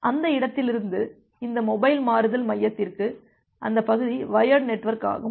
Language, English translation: Tamil, Then from that destination to this mobile switching center, that part is the wired network